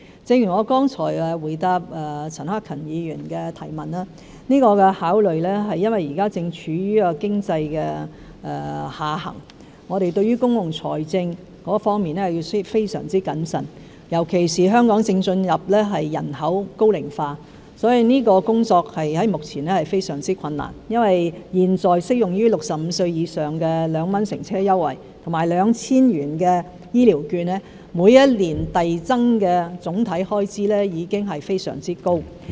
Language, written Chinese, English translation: Cantonese, 正如我剛才回答陳克勤議員的提問時已指出，這個考慮是因為香港現在正處於經濟下行，我們對於公共財政的處理需要非常謹慎，尤其是香港正進入人口高齡化，所以這工作在目前是非常困難的，因為現在適用於65歲以上人士的2元乘車優惠和 2,000 元的醫療券，每一年遞增的總體開支已經非常高。, As I have already pointed out in my reply to Mr CHAN Hak - kans question just now given that Hong Kong is now in an economic downturn we have to take this situation into consideration and be very prudent in dealing with public finance in particular Hong Kongs population is ageing . Therefore the task is very tough at the moment because the annual overall expenditures on the 2 concessionary transport fare and the 2,000 health care vouchers for people aged 65 or above are increasing at a very high rate